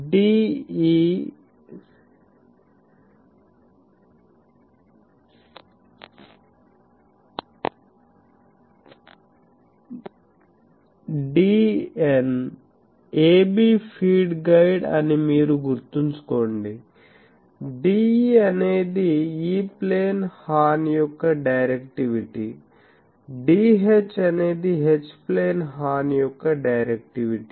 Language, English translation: Telugu, You see remember this is a b the feed guide; D is the directivity of the E plane horn D H is the directivity of the H plane horn